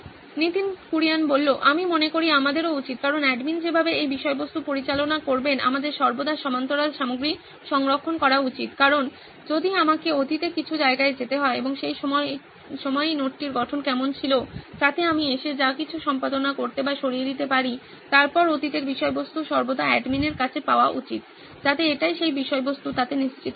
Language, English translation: Bengali, I think we should also, because of the way the admin would be handling this content, we should always have like parallel content being saved all the time because if I have to go to some point in the past and see what the structure of the note was at that point of time, so that I can come and edit or remove whatever it was, then the past content should always be available with the admin to ensure that the content is